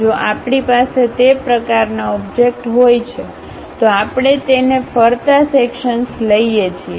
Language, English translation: Gujarati, If we are having that kind of objects, we call that as revolve sections